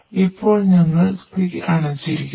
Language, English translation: Malayalam, So now we are put off fire